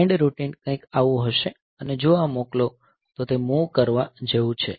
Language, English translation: Gujarati, So, the send routine will be something like this if this is that send, so it is like move